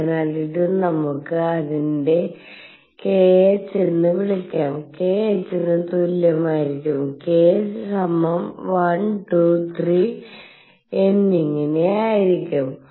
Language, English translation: Malayalam, So, this is equal to let us call it k h cross k equals 1 2 3 and so on